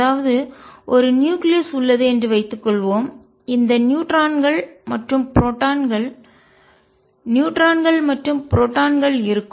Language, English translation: Tamil, So, suppose there is a nucleus in which these neutrons and protons neutrons and protons are there